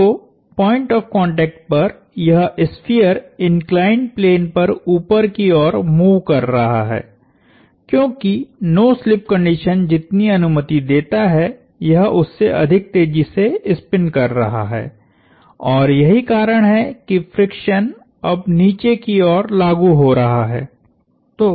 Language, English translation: Hindi, So, that is at the point of contact, the sphere is moving up the inclined plane, because it is spinning faster than the no slip condition would allow it to spin and that is the reason friction is now acting downwards